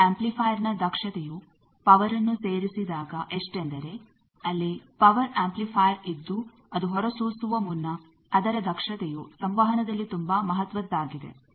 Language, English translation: Kannada, Then how much is the power added efficiency for a power amplifier power amplifier is before the transmitter is radiating there is a power amplifier its efficiency is very important in communication